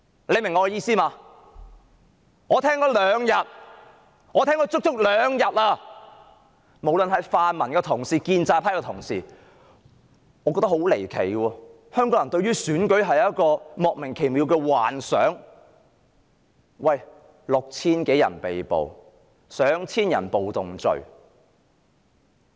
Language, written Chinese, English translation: Cantonese, 我足足聽了兩天的辯論發言，無論是泛民同事或建制派同事，都對選舉有莫名其妙的幻想，我感到十分離奇。, After listening to the debate for two days I found that both pan - democratic and pro - establishment colleagues have placed unrealistic expectations on the election which I find very surreal